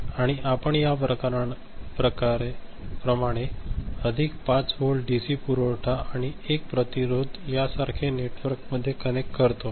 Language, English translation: Marathi, And we connect a circuit like this a plus 5 volt dc supply and a resistance you know, network like this